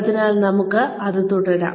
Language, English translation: Malayalam, So, let us, get on with this